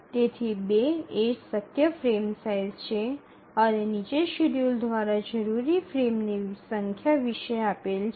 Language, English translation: Gujarati, So 2 is a possible frame size but what about the number of frames that are required by the schedule